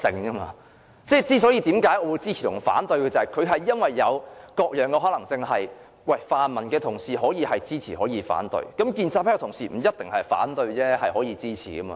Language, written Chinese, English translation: Cantonese, 我為何會支持或反對，是因為有各種可能性，泛民的同事也可以支持或反對，建制派的同事亦不一定要反對，也可以支持的。, The reason why I support or oppose it is that there are various possibilities . The pan - democratic colleagues may support or oppose it too . Colleagues in the pro - establishment camp may not necessarily have to oppose it either